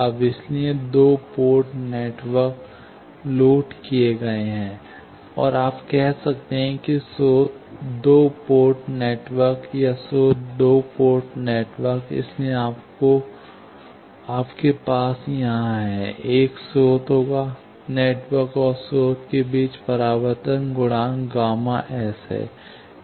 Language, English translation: Hindi, Now, so two port network, loaded, and you can say generated two port network, or source two port network; so, you have here, there will be a source; between the network and the source, there is a reflection coefficient gamma S